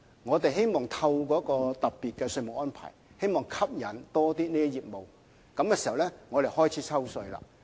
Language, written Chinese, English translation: Cantonese, 我們希望透過一個特別的稅務安排，吸引更多有關業務，然後開始抽稅。, We wish to set up a special taxation arrangement to attract more businesses in the sector which will then be chargeable to tax